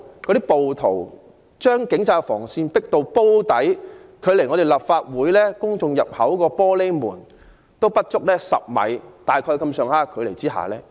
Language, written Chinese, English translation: Cantonese, 其後，暴徒將警方的防線迫至"煲底"，距離綜合大樓公眾入口的玻璃門不足10米距離。, Subsequently rioters pushed the police cordon lines backwards to the Drum area where the glass door of the public entrance to the Complex was less than 10 m away